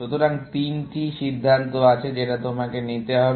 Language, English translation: Bengali, So, there are three decisions, you have to make